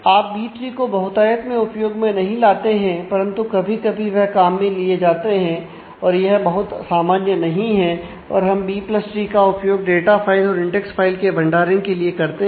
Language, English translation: Hindi, So, it is not very frequent that you will use B trees, but they are use at times, but that is not a very common thing and we stick to B + tree for both of the data file as well as index file storage